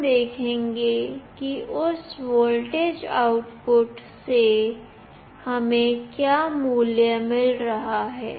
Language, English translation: Hindi, We will see that what value we are getting from that voltage output